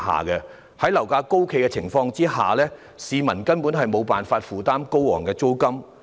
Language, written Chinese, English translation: Cantonese, 在樓價高企的情況下，市民根本無法負擔高昂的租金。, With property price remaining high people are unable to afford the exorbitant rents